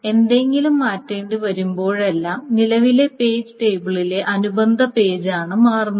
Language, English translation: Malayalam, So whenever something needs to be changed, the corresponding page in the current page table is what is being changed